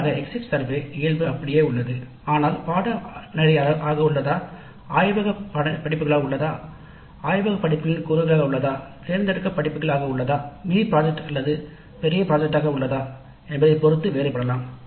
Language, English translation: Tamil, Then we also looked at the details of the exit survey because broadly the exit survey nature remains same but depending upon whether they are core courses or whether the laboratory courses or laboratory components of a course or elective courses or mini projects or major projects, the details can vary